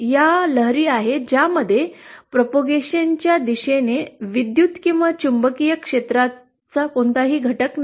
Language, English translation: Marathi, TEM waves are waves which do not have any component of electric or magnetic field along the direction of propagation